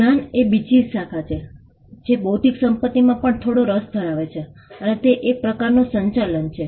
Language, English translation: Gujarati, There is another branch of knowledge, which also shows some interest on intellectual property right which is the management